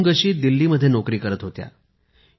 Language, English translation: Marathi, Avungshee had a job in Delhi